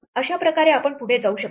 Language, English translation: Marathi, In this way we can proceed